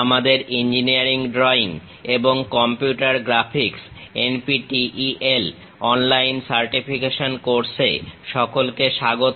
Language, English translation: Bengali, Welcome to our NPTEL online certification courses on Engineering Drawing and Computer Graphics